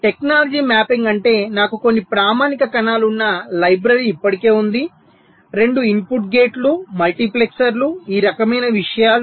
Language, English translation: Telugu, technology mapping means i have a library where some standard cells are already present, may be two input gates, multiplexers, this kind of things